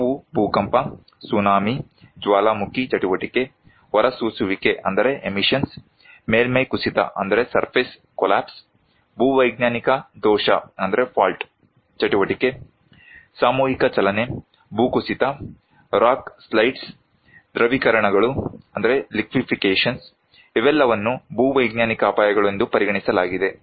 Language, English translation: Kannada, They are like earthquake, tsunami, volcanic activity, emissions, surface collapse, geological fault activity, mass movement, landslide, rock slides, liquefactions, all are considered to be geological hazards